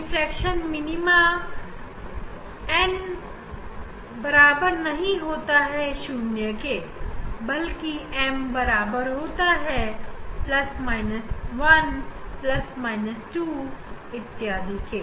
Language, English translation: Hindi, these that diffraction minima n is not equal to 0, but m equal to plus minus 1 plus minus 2